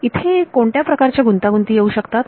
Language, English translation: Marathi, What kind of complications might be here